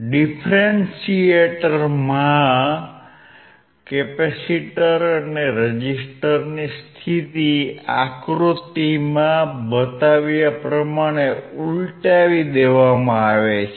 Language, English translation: Gujarati, In the differentiator the position of the capacitor and resistors are reversed as shown in figure